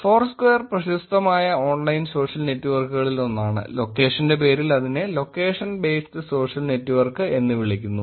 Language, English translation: Malayalam, Foursquare is one of the popular online social networks, just for locations it is called location based social network